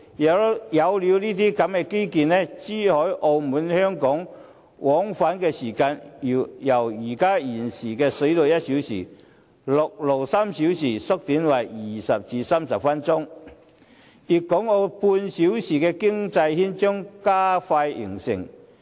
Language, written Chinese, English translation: Cantonese, 一旦落實這些基建，珠海和澳門往返香港的時間，將由現時水路1小時、陸路3小時縮小為20至30分鐘，粵港澳半小時的經濟圈將加快形成。, The time taken to travel from Zhuhai and Macao to Hong Kong and the other way round will be shortened to 20 minutes to 30 minutes in contrast to the present length of one hour by sea and three hours by land . This can expedite the emergence of a half - hour economic circle for places in Guangdong Hong Kong and Macao